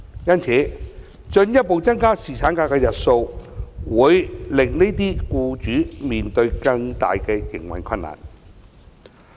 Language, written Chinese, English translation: Cantonese, 因此，進一步增加侍產假日數，會令這些僱主面對更大的營運困難。, Hence these employers will face even bigger operational difficulties if paternity leave is further increased to seven days